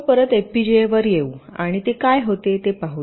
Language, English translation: Marathi, you see, lets come back to fpga and see what it was